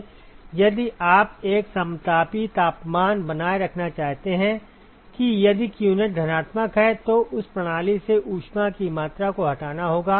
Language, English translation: Hindi, If you want to maintain an isothermal temperature; that that is the amount of heat that has to be removed from that system if qnet is positive